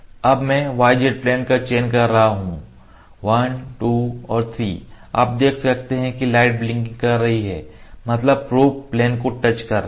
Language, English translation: Hindi, Now I am selecting the y z plane 1 2 and 3 you can see the light blinking that is blinking that is the probe has touched 1 2 3 three points are recorded